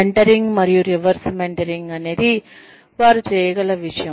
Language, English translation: Telugu, Mentoring and reverse mentoring, is something that, they can do